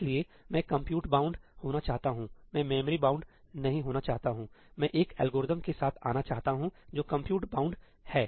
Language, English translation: Hindi, So, I want to be compute bound, I do not want to be memory bound; I want to come up with an algorithm that is compute bound